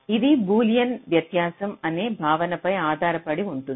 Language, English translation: Telugu, this is based on a concept called boolean difference